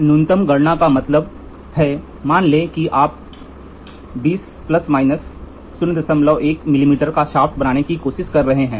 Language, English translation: Hindi, Least count means suppose let us assume you have to measure you are trying to make a shaft of 20 plus or minus 0